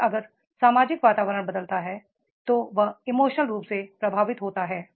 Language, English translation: Hindi, And if the social environment keeps on changing, it is emotionally affect